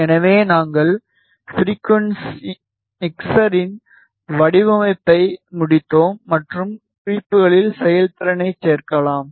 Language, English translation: Tamil, So, we completed the mixture design and in the notes, we can add the performance